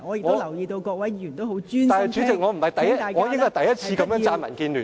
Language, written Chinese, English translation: Cantonese, 不過，代理主席，我應該是第一次如此稱讚民建聯。, Yet Deputy President this should be the first time I sing praises of the DAB